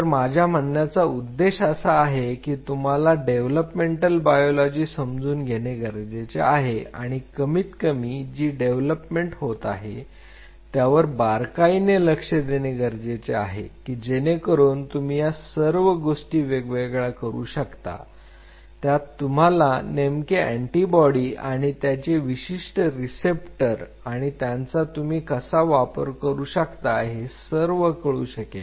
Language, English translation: Marathi, So, that is what I say that you have to understand developmental biology or at least you should keep a tab how the development is happening so that you can separate out things you know exactly this antibody or this particular receptor will be there I can utilize I can capitalize on it